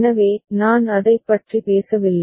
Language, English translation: Tamil, So, I am not talking about that